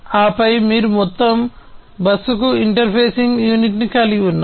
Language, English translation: Telugu, And then you have the interfacing unit to the overall bus